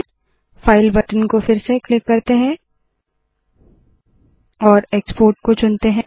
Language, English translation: Hindi, Let us click the file button once again and choose export